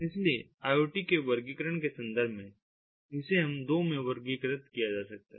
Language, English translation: Hindi, so in terms of ah, ah, the categorization of iot, it can be categorized into two